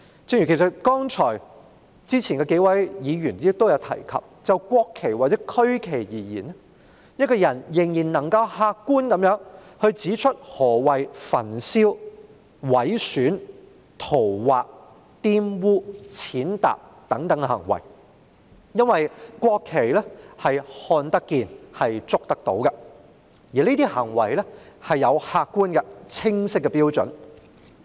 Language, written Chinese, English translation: Cantonese, 正如之前數位議員亦有提及，就國旗或區旗而言，我們仍能客觀地指出何謂焚燒、毀損、塗劃、玷污、踐踏等行為，因為國旗看得見、觸得到，而這些行為有客觀而清晰的標準。, Just as several Members have mentioned in their earlier remarks insofar as the national flag or the regional flag is concerned we can still point out in an objective manner what constitutes the behaviours of burning mutilating scrawling on defiling or trampling on the flag etc as we can see and touch the national flag so that there are objective and clear standards for such behaviours